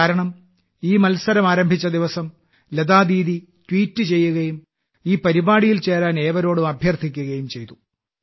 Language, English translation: Malayalam, Because on the day that this competition had started, Lata Didi had urged the countrymen by tweeting that they must join this endeavour